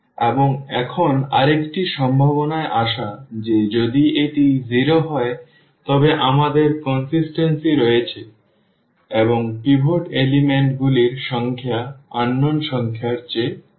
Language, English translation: Bengali, And, now coming to the another possibility that if this is 0 means we have the consistency and the number of pivot elements is less than the number of unknowns